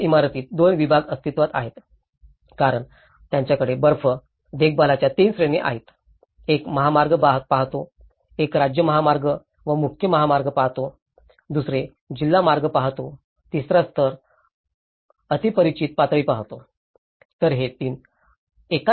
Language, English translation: Marathi, In the same building, two departments exist because they have 3 categories of the snow maintenance; one looks at the highways, one looks at the state highways and the main highways, the second one looks the district routes, the third level looks the neighbourhood level